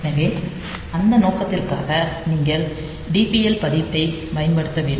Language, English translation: Tamil, So, for that purpose you have to use that DPL register